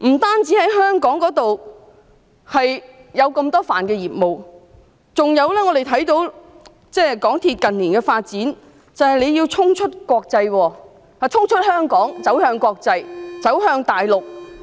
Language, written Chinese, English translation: Cantonese, 港鐵公司不單在香港有這麼多範疇的業務，我們還看到它近年的發展，因為它要衝出香港，走向國際，走向大陸。, MTRCL does not only engage in a variety of businesses in Hong Kong we also see its business development in recent years . As the company is aiming at breaking out of Hong Kong it aims at going global and going north